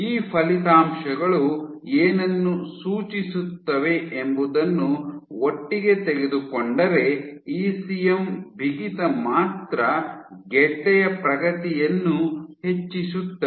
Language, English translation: Kannada, So, taken together what these results suggest is that you can have an effect in which ECM stiffness alone can drive tumor progression